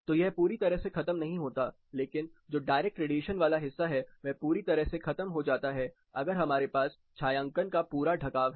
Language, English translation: Hindi, So, it is not totally negated, but the direct component which is quite significant is totally negated if you have a full cover of shading